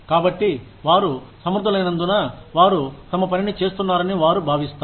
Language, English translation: Telugu, So, they feel that, since they are competent, they are doing their work